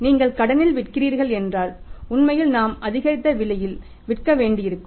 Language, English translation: Tamil, If you are selling on the credit we will have to obviously sell on the increased price